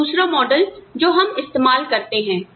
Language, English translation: Hindi, Now, the other model, that we can use